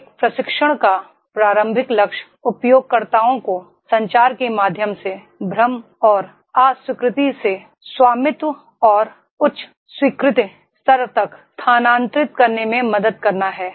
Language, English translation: Hindi, The primary goal of a training is to help users move from confusion and no acceptance through the communication to ownership and a high acceptance level